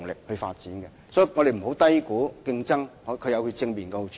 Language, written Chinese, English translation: Cantonese, 因此，我們不要低估競爭的正面好處。, Hence we should not understate the positive impact of competition